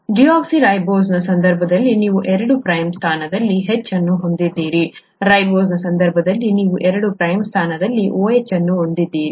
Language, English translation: Kannada, In the case of deoxyribose you have an H in the two prime position, in the case of ribose you have an OH in the two prime position